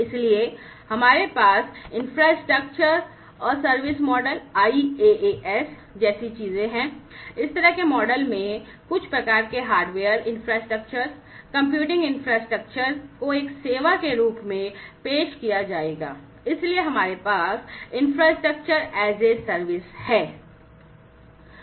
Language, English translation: Hindi, So, we have things like infrastructure as a service model , you know so basically you know in this kind of model, some kind of hardware infrastructure etcetera, the computing infrastructure will be offered as a service, so we have infrastructure as a service